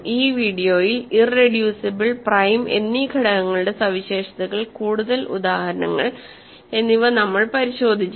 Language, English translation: Malayalam, In this video, we looked at more examples of, more properties of irreducible and prime elements